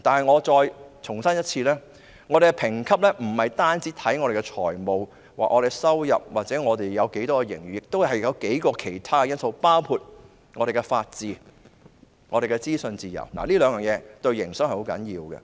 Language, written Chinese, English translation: Cantonese, 我再重申，本港的評級不單視乎本港的財務狀況、收入或有多少盈餘，亦須視乎其他數項因素，包括本港的法治和資訊自由，這兩點對營商是十分重要的。, I have to reiterate that the rating of Hong Kong does not only hinge on its financial situation the amount of its revenue or surplus . Several other factors including the rule of law and freedom of information in Hong Kong will also be taken into consideration . These two factors are very important for business operation